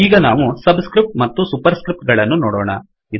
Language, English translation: Kannada, Now we will look at subscripts and superscripts